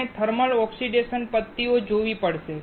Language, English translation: Gujarati, We have to see the thermal oxidation methods